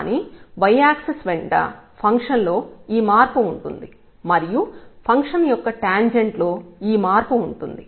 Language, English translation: Telugu, But, along this y axis this is the change in the function and this is the change in the tangent line of the function